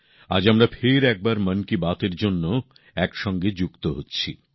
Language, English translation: Bengali, We are connecting once again today for Mann Ki Baat